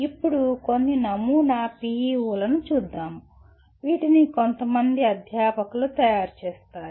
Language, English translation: Telugu, Now getting into some sample PEOs, these are prepared by some group of faculty